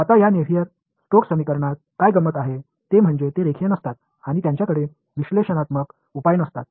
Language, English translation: Marathi, Now what is interesting about this Navier Stokes equation is that they are non linear and they do not have analytical solutions